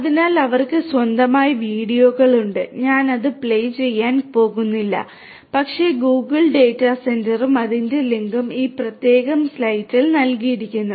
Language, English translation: Malayalam, So, they have their own videos I am not going to play it, but Google data centre and it is link is given in this particular slide